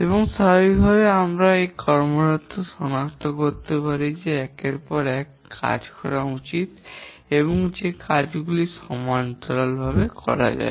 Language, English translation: Bengali, And naturally here we can identify sequence which tasks need to be done one after other and which tasks can be done parallelly